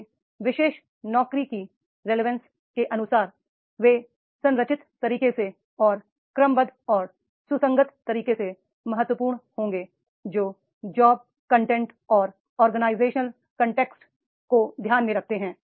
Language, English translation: Hindi, So, if the relevance is very important, accordingly the relevance of these particular jobs, there will be important in a structured way and orderly and consistent manner which takes accounts of the job content and organizational context